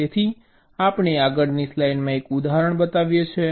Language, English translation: Gujarati, so we show an example in the next slide